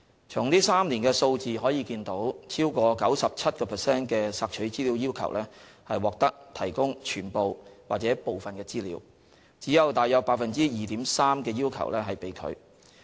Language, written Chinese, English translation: Cantonese, 從這3年的數字可見，超過 97% 的索取資料要求獲提供全部或部分資料，只有約 2.3% 的要求被拒。, We can see from the figures in these three years that over 97 % requests for information were met in full 95.5 % or in part 2.2 % and only about 2.3 % requests were refused